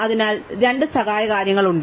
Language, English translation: Malayalam, So, we have two auxiliary things